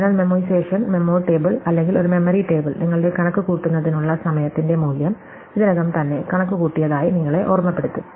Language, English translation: Malayalam, So, memoization, memo table or a memory table is supposed to remind you that the value your time to compute has already been computed